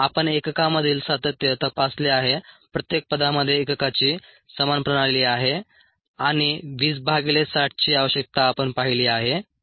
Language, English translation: Marathi, we have checked for the consistency in unit each term having the same system of unit's and the need ah for twenty by sixty